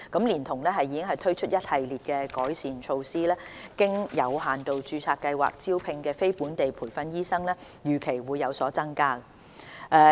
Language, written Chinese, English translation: Cantonese, 連同已推出的一系列改善措施，經有限度註冊計劃招聘的非本地培訓醫生預期會有所增加。, With this extension and other improvement measures the number of non - locally trained doctors recruited under the limited registration scheme is expected to increase